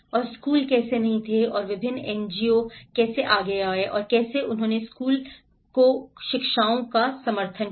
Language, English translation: Hindi, And how the schools were not there and how different NGOs come forward and how they supported the school educations